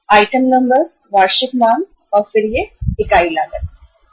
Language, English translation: Hindi, Item number, annual demand, and then it is the unit cost